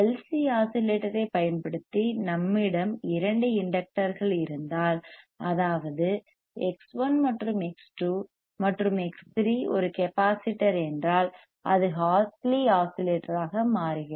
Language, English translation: Tamil, bBut using LC oscillator;, if we have two inductors, that is X 1 and X 2 a X1 and X2re inductor and X 3 is a capacitor; then, it becomes aan Hartley oscillator